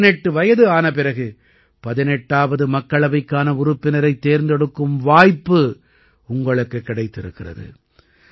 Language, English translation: Tamil, On turning 18, you are getting a chance to elect a member for the 18th Lok Sabha